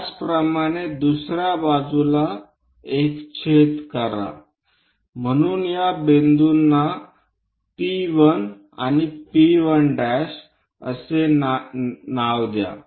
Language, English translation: Marathi, Similarly, on the other side make a cut, so name these points as P 1 and P 1 prime